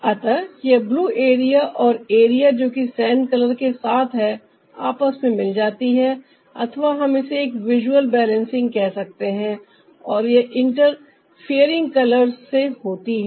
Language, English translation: Hindi, so this blue area and ah, the area with the sand color is getting integrated, or we can call it a visual balancing, and this is through the interfering colors